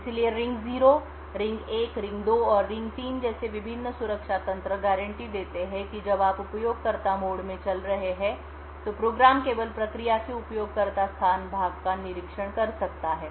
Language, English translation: Hindi, So, the various protection mechanisms like the ring 0, ring 1, ring 2 and ring 3 guarantee that when you are running in user mode a program can only observe the user space part of the process